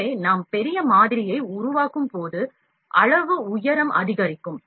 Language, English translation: Tamil, So, when we fabricate the model of big size, the height will increase, height increases